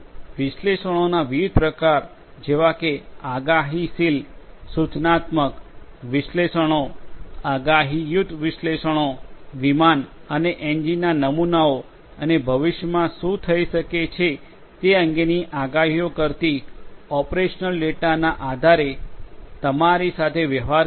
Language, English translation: Gujarati, Different types of analytics like the predictive, prescriptive, analytics, predictive analytics dealing with you know based on the aircraft and engine models and the operational data predicting about what might be happening in the future